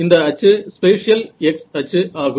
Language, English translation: Tamil, x axis this axis the spatial x axis